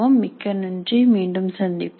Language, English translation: Tamil, Thank you very much and we will meet you again